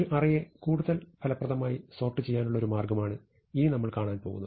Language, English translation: Malayalam, So, here is one way to sort an array more effectively